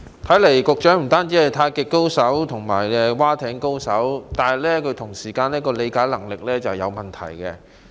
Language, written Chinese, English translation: Cantonese, 看來局長不單是太極高手及划艇高手，他的理解能力也有問題。, Apparently the Secretary is not only a Tai Chi master and rowing expert he is also incapable of understanding the question